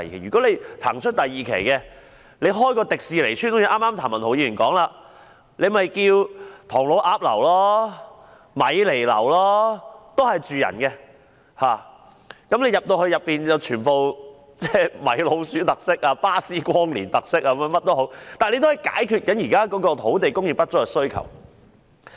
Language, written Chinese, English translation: Cantonese, 如果騰出第二期的用地，建一條迪士尼村，正如譚文豪議員剛才說，可以命名為唐老鴨樓、米妮樓，供人居住，而內部具米奇老鼠特色、巴斯光年特色等，也可以解決現時土地供應的需求。, If we free up the site reserved for the second phase development and build a Disney housing estate as proposed by Mr Jeremy TAM just now we can name the buildings Donald Duck Building and Minnie Mouse Building with Mickey Mouse and Buzz Lightyear features the existing demand for land supply can be solved too